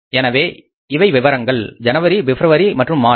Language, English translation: Tamil, So these are particulars, January, February and March